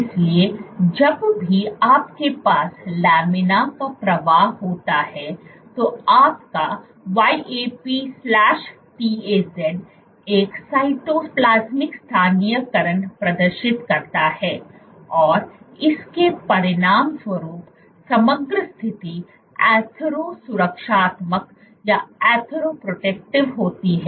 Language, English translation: Hindi, So, whenever you have laminar flow your YAP/TAZ exhibits a Cytoplasmic localization and as a consequence there is the reason the overall situation is athero protective